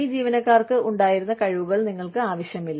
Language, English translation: Malayalam, You do not need the skills, that these employees had